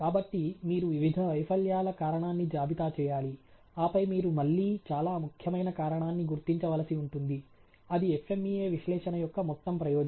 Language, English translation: Telugu, So, you have to list down the cause of various a failures, and then you will have to again identify the most important cause, that is the whole purpose of the FMEA analysis